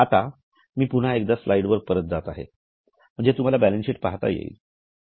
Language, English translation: Marathi, Now, I am just going back to the slide so that you can have a view of the balance sheet